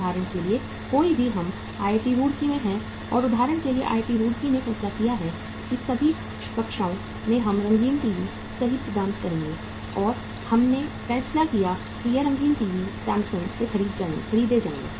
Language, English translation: Hindi, For example any say we are at IIT Roorkee and IIT Roorkee for example has decided that in all the classrooms we will provide the uh colour TVs right and we decided that these colour TVs will be purchased from Samsung